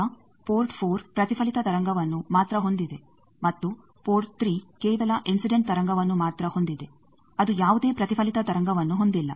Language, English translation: Kannada, Now, you see port 4 is only having the reflected wave and port 3 is only having the incident wave it is not having any reflected wave